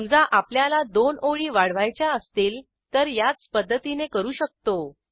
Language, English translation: Marathi, Say, we want to add the two lines we would do it in a similar way